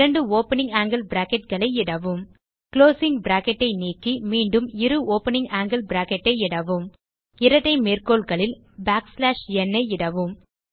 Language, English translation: Tamil, Type two opening angle brackets Delete the closing bracket, again type two opening angle bracket and within the double quotes type backslash n